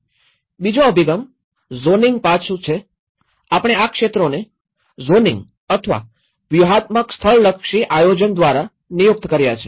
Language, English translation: Gujarati, The second one is we do with the zoning aspect; also we designated these areas through zoning or strategic spatial planning